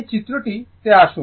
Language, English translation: Bengali, Come to this figure